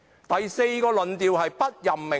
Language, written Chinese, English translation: Cantonese, 第四個是"不任命論"。, The fourth is the theory of non - appointment